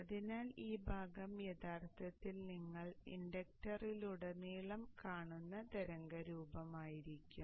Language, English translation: Malayalam, So this portion in fact would be the waveform that you would be seeing across the inductor